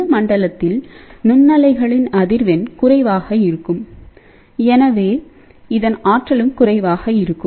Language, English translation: Tamil, Now microwave frequency in this region, basically has a lower frequency and hence, it has a lower energy